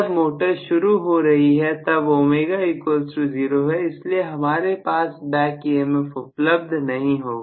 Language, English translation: Hindi, When the motor is starting omega is 0, so I will not have any back emf